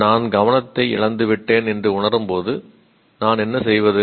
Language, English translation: Tamil, And then what happens when I realize that I seem to have lost attention, then what do I do